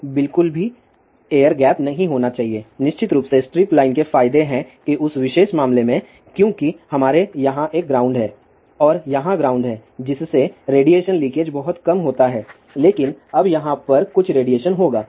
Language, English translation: Hindi, So, there should not be any air gap at all; of course, there are advantages of strip line that in that particular case, since we have a ground here and ground here the radiation leakage is very very small , but over here